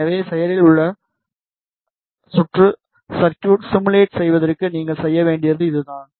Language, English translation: Tamil, So, this is what you need to do for active circuit simulation